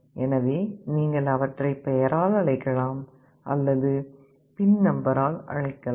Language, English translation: Tamil, So, you can either call them by name or you can call them by the pin number